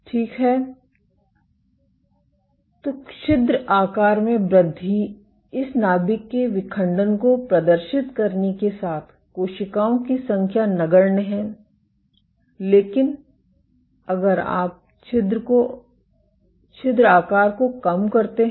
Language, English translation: Hindi, So, increase in pore size there is negligible number of cells with exhibit this nuclear rupture, but if you reduce the pore size